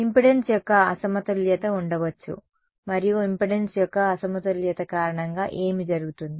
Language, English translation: Telugu, There can be a mismatch of impedance and because of mismatch of impedance what will happen